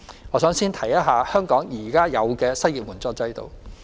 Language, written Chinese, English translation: Cantonese, 我想先說說香港現有的失業援助制度。, I would like to start with the existing unemployment assistance system in Hong Kong